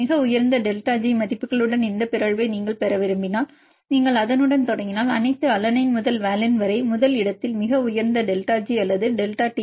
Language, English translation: Tamil, If you want to have this mutation with the highest delta G values then if you start with that one then all the alanine to valine we can see at the first place with the highest delta G or delta Tm